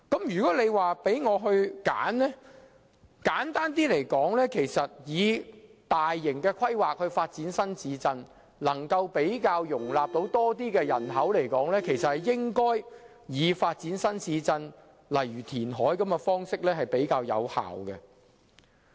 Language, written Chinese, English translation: Cantonese, 如果我可以選擇，我認為較簡單的方法是，既然發展新市鎮可以容納更多人口，便應該發展新市鎮，而以填海等方式進行會較有效。, Given the choice I think it is simpler to develop new towns as new towns can accommodate more people and it will be more efficient to do so by reclaiming land